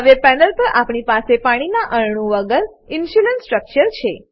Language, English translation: Gujarati, Now on panel we have Insulinstructure without any water molecules